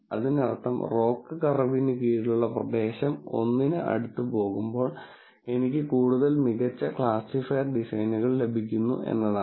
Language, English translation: Malayalam, So that means, as the area under the Roc curve goes closer and closer to 1, I am getting better and better classifier designs